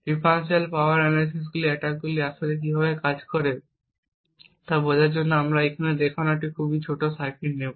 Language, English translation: Bengali, To understand how differential power analysis attacks actually work, we will take a very small circuit as shown over here